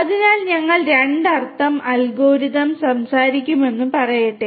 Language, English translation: Malayalam, So, let us say that we will talk about the 2 means algorithm